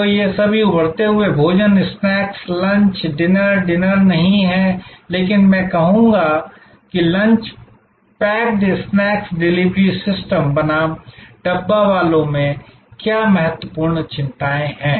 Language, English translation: Hindi, So, all these emerging forms of food, snacks, lunch, dinner, not dinner, but I would say packed lunch, packed snacks delivery system versus the Dabbawalas, what are the key concerns